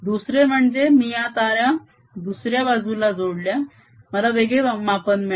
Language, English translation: Marathi, on the other hand, when i connected the wires on the other side, i got a different reading